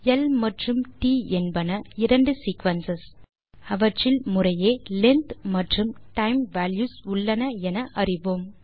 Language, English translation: Tamil, We can see that l and t are two sequences containing length and time values correspondingly